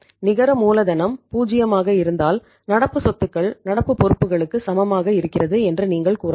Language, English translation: Tamil, If the net working capital is zero so you can say current assets are equal to current liabilities